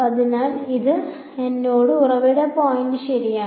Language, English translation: Malayalam, So, that is telling me the source point right